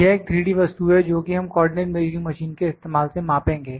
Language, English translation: Hindi, This is a 3 or 3D object that we will measure using this co ordinate measuring machine, ok